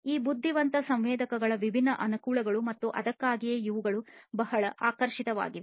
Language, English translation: Kannada, These are the different advantages of these intelligent sensors and that is why these are very attractive